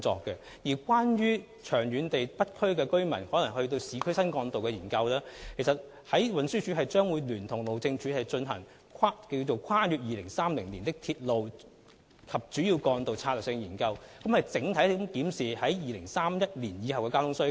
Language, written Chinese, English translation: Cantonese, 長遠而言，對於北區連接市區新幹道的研究，運輸署將會聯同路政署進行《跨越2030年的鐵路及主要幹道策略性研究》，檢視2031年後的整體交通需求。, Insofar as the long - term studies on the linking of the North District with the new trunk roads in urban areas are concerned TD will conduct Strategic Studies on Railways and Major Roads beyond 2030 in collaboration with the Highways Department to review the overall transport needs after 2031